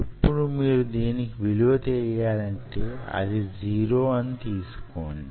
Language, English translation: Telugu, so if you know, of course you know this value, which is zero